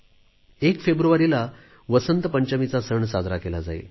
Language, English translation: Marathi, 1st February is the festival of Vasant Panchami